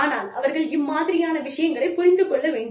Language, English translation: Tamil, They should be able to understand, these things